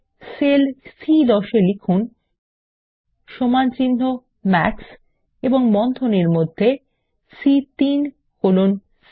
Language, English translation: Bengali, In the cell C10 lets type is equal to MAX and within braces C3 colon C7